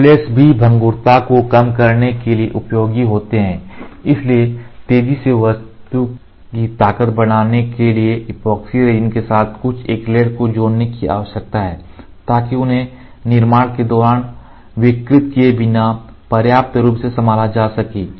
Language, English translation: Hindi, The acrylates are also useful to reduce the brittleness the acrylates so, acrylates you see epoxy some acrylate to epoxy is required to rapidly build part strength so that they will have enough integrity to handle without distorting during fabrication